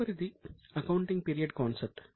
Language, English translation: Telugu, Next turn is accounting period concept